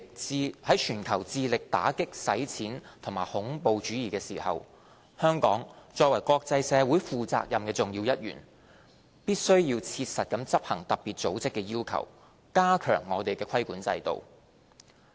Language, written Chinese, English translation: Cantonese, 在全球致力打擊洗錢與恐怖主義之際，香港作為國際社會負責任的重要一員，必須切實執行特別組織的要求，加強我們的規管制度。, At a time when the world is making efforts to combat money laundering and terrorism Hong Kong being a responsible and crucial member of the international community must strictly comply with the requirements of FATF to strengthen our regulatory regime